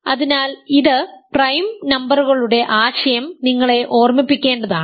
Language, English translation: Malayalam, So, this is supposed to give you, recall for you the notion of prime numbers